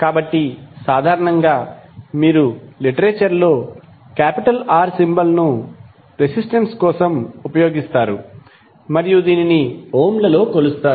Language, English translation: Telugu, So, generally you will see that in the literature, the symbol R is most commonly used for the resistance